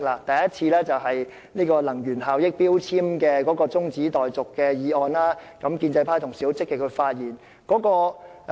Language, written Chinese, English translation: Cantonese, 第一次是有關《能源效益條例》的中止待續議案，建制派同事當時十分積極發言。, In their first attempt Honourable colleagues from the pro - establishment camp spoke keenly on an adjournment motion in relation to the Energy Efficiency Ordinance